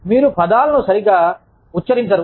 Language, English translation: Telugu, You do not pronounce, words properly